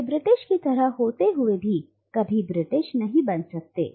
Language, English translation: Hindi, So they are almost like the British but never really like the British